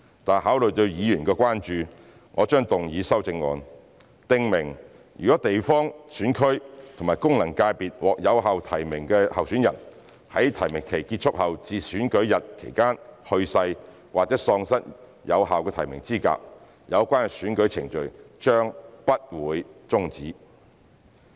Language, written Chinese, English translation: Cantonese, 但考慮到議員的關注，我將動議修正案，訂明如地方選區及功能界別獲有效提名的候選人在提名期結束後至選舉日期間去世或喪失有效的提名資格，有關的選舉程序將不會終止。, Nevertheless having regard to Members concerns I will move an amendment to provide that in case of death or disqualification of a validly nominated candidate in a GC and an FC after the close of nominations but before the close of polling for the election the relevant election proceedings would not be terminated